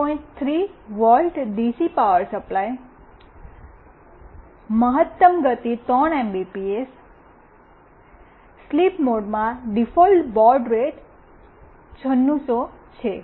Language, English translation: Gujarati, 3 volt DC power supply, maximum speed of around 3 Mbps, in sleep mode the default baud rate is 9600